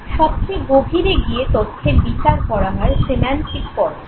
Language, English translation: Bengali, The deepest level of processing is the semantic level